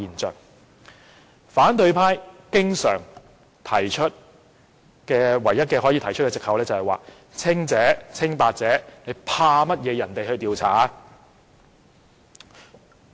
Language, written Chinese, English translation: Cantonese, 他們唯一可以提出的藉口是："清白者為何要怕人調查？, The only excuse that they can be offer is Why should the innocent fear an investigation?